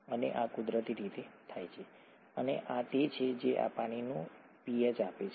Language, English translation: Gujarati, And this happens naturally, and this is what gives water its pH